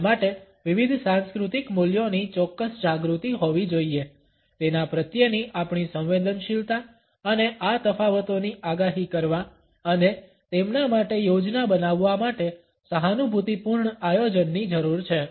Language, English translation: Gujarati, It requires a certain awareness of different cultural values, our sensitivity towards it and an empathetic planning to foresee these differences and plan for them